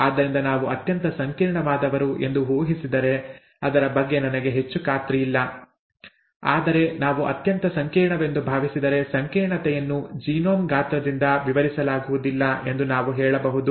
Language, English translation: Kannada, So we can say that, if we assume that we are the most complex I, I am not very sure about that, but if we assume that we are the most complex we can say that the complexity is not explained by genome size, right